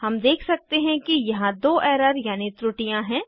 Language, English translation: Hindi, We can see that there are two errors